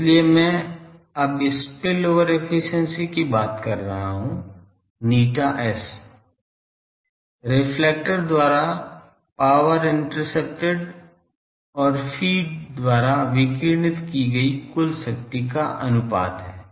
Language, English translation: Hindi, So, I am now talking of spillover efficiency, eta S is power intercepted by the reflector by total power radiated by the feed